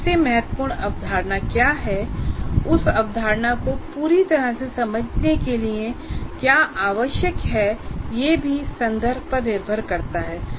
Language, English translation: Hindi, There is also in the context what is the most important concept and what is required to fully understand that concept that depends on the context